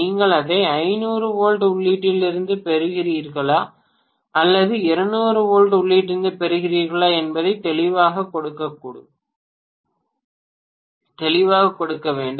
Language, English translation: Tamil, It should be given clearly whether you are deriving it out of 500 volts input or 200 volts input, one of them has to be given for sure